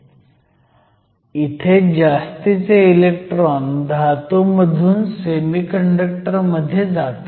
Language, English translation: Marathi, So, this is a region where excess electrons go from the metal to the semiconductor